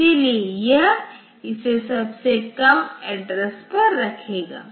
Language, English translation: Hindi, So, it will put it in the lowest address